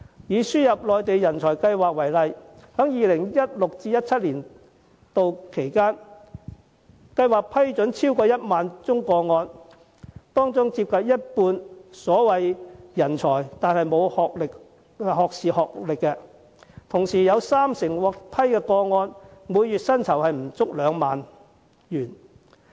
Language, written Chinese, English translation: Cantonese, 以輸入內地人才計劃為例，在 2016-2017 年度，有超過1萬宗個案獲批，當中接近一半的所謂人才並無學士學歷，而其中三成獲批來港者的月薪不足2萬元。, Taking the ASMTP as an example in 2016 - 2017 more than 10 000 cases were approved . Nearly half of the so - called talents do not have a bachelors degree and 30 % of them are paid less than 20,000 a month